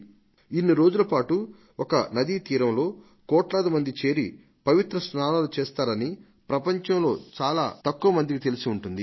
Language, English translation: Telugu, Very few know that since a long time, crores and crores of people have gathered on the riverbanks for this festival